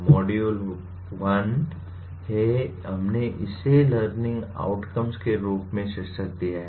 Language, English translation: Hindi, Module 1 is, we titled it as “Learning Outcomes”